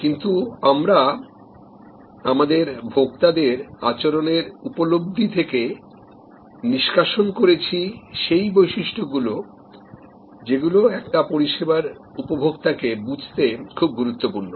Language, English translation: Bengali, But, we are extracting from our understanding of consumer behavior, those dimensions which are important for us to understand a services consumer